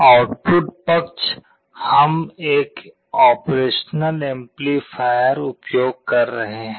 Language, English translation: Hindi, On the output side, we are using an operational amplifier